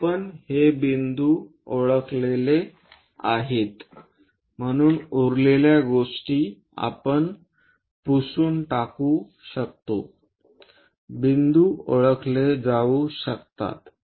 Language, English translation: Marathi, So, we have identified this points remaining things we can erase ok, points are identified